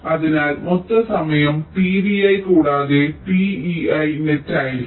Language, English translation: Malayalam, so the total time will be t v i plus t e i